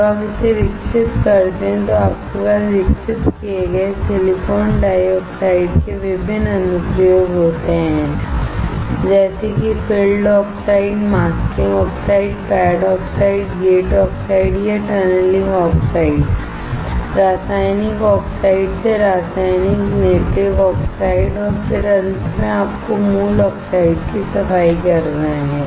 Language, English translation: Hindi, When you grow it, you have different application of the grown silicon dioxide, such as field oxide, masking oxide, pad oxides, gate oxides or tunneling oxides, chemical oxides from chemical native oxides and then finally, you have from cleaning the native oxides